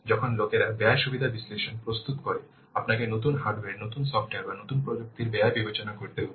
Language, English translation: Bengali, While you will prepare the cost benefit analysis, you have to consider the cost of new hardware, new software, new technology you have to take into account this cost